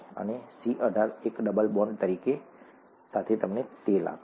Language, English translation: Gujarati, And C18, with a single double bond gives you oil